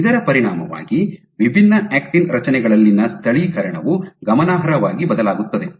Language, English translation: Kannada, So, as the consequence the localization within different actin structures varies notably